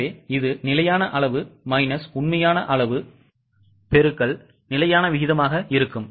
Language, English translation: Tamil, So it is standard quantity minus actual quantity into standard rate